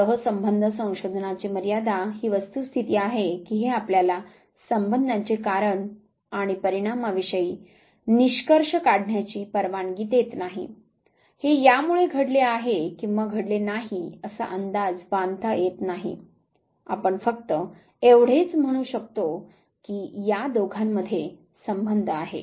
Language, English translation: Marathi, The limitation of correlation research of course is the fact that it does not permit you to draw the conclusion regarding the cause and effect relationship whether this did lead to that or not that you cannot predict